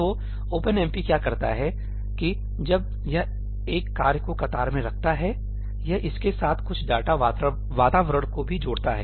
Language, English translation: Hindi, So, what OpenMP does is that when it queues up a task, it also associates some data environment with it